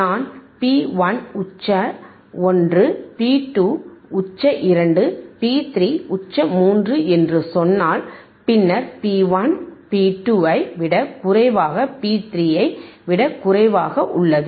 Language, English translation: Tamil, iIf I say P 1, peak 1, P 2 , peak 2, P, P 3, peak 3, then P 1 is less thean P 2 is less thean P 3